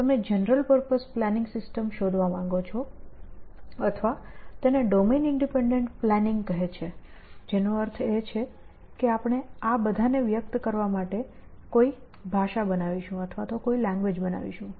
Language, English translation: Gujarati, You want to find general purpose planning systems or else this community calls it domain independent planning essentially, which means that we will devise a language to express all this